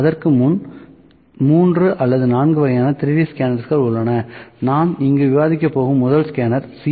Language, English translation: Tamil, So, before that there are 3 or 4 types of 3D scanners, number 1 that I am going to discuss here is C